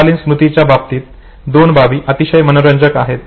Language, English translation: Marathi, Now two things are very interesting in short term memory